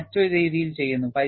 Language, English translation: Malayalam, And it does it, in a different way